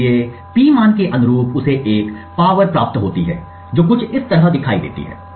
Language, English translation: Hindi, So, corresponding to the P value he gets a power traced which looks something like this